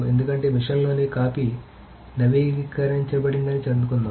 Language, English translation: Telugu, Because suppose the copy in machine A has been updated